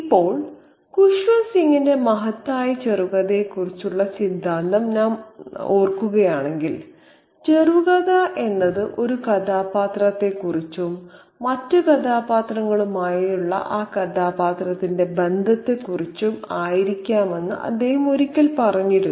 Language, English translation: Malayalam, Now, if we recall Koshwan Singh's theory of a great short story, he had once said that a short story is something that, you know, could be about a character, a particular character and that character's relationship with other characters